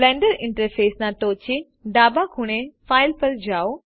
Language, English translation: Gujarati, Go to File at the top left corner of the Blender interface